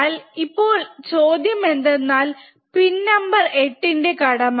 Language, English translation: Malayalam, Now, the question to you guys is what is a role of pin number 8, right